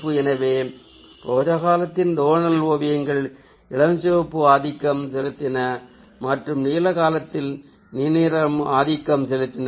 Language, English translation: Tamil, so in the rose period the tonal paintings were done in dominance of pink, and the blue period it was` blue